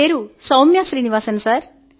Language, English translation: Telugu, I am Soumya Srinivasan